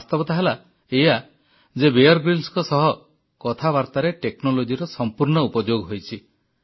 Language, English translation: Odia, The reality is that technology was used extensively in my conversation with Bear Grylls